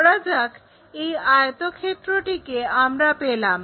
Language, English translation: Bengali, Maybe this is the rectangle what we have